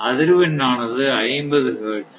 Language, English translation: Tamil, Because is a 50 hertz right